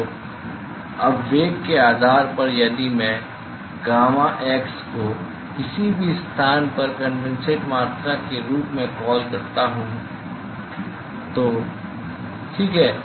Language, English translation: Hindi, So, now, based on the velocity a supposing if I call gamma x as the amount of condensate at any location ok